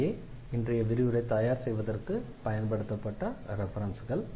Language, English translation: Tamil, So, these are the references used for preparing the lectures and